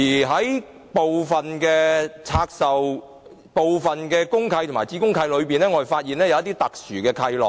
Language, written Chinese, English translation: Cantonese, 在部分公契和子公契中，我們發現一些特殊契諾。, In some of the deeds of mutual covenant and sub - deeds of mutual covenant we have found some special covenants